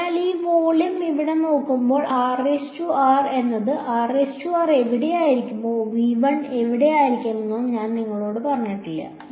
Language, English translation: Malayalam, So, when I look at this volume over here I have not told you where r prime is r prime could either be in v 1 or it could be where